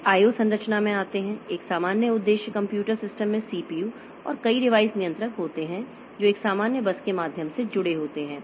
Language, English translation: Hindi, O structure, a general purpose computer system consists of CPUs and multiple device controllers that are connected through a common bus